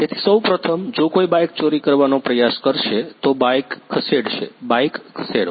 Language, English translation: Gujarati, So, first of all if someone tries to steal the bike, then he will move the bike; move the bike